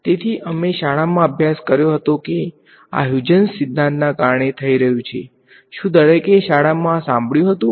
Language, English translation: Gujarati, So, in school we studied that this is happening because of what was called Huygens principle, did everyone come across this word in school right